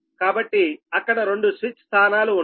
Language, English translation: Telugu, so suppose two switch position is there